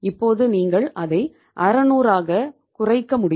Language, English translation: Tamil, Now you can bring it down by 600